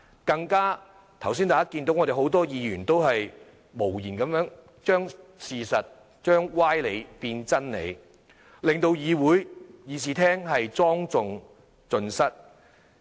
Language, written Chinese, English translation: Cantonese, 更甚的是，剛才大家也看到，很多議員都無言地將事實......將歪理變真理，令議事廳莊重盡失。, Worse still as we could see just now many Members quietly turned the factsmade specious arguments sound like truths thus depriving the legislature of its dignity completely